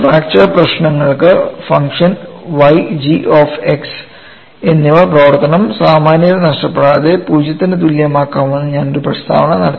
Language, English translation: Malayalam, And I made a statement, that for fracture problems function of y and g of x can be equated to zero without losing generality that makes our life simple